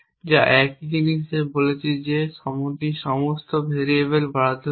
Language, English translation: Bengali, So, in other words you do not have to assign values to all variables